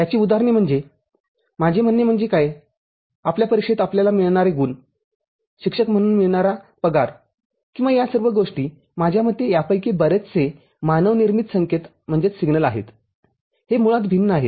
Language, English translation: Marathi, The examples are, I mean what about like the marks that we get in our exam, a salary that we get as a faculty member or all these things, I mean the most of these human generated signals are discreet in nature